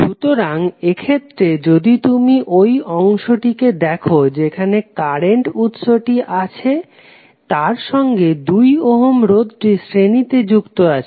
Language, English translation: Bengali, So, in this case if you see this is the segment which has current source and 2 ohm resistor connected in series with the current source